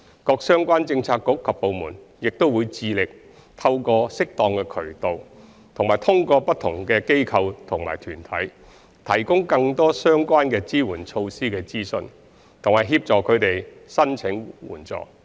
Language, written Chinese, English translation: Cantonese, 各相關政策局及部門亦會致力透過適當渠道及通過不同的機構及團體，提供更多相關的支援措施的資訊，以及協助他們申請援助。, Relevant BDs also endeavour to provide them with more information relevant to the support measures through suitable channels organizations and groups and assist them to apply for these measures